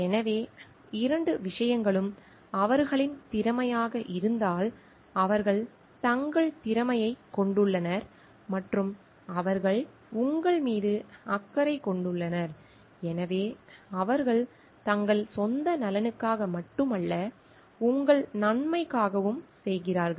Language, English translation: Tamil, So, when both the things are their competence means they have their competent and they have a concern for you, so in the sense like they are doing not only for their own good, but also for your good